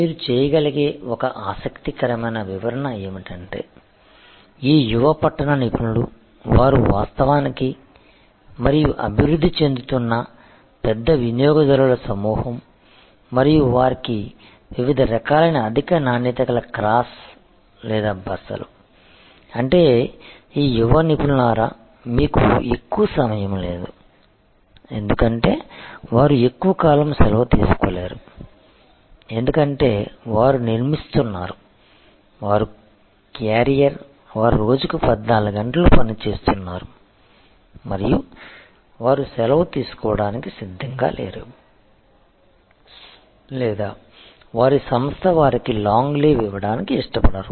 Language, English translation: Telugu, An interesting explanation that you can do is this young urban professionals they are actually and emerging big group of consumers and for them different types of very high quality crash or staycations; that means, you this young professionals you do not have much of time they cannot take a long vocation, because they are building, they are carrier, they are working a 14 hours a day and they are not prepared to take leave or their organization is reluctant to give them long leave